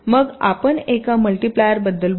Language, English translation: Marathi, then we talk about a multiplier